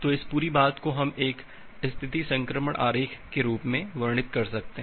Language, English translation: Hindi, So, this entire thing we can represent in the form of a state transition diagram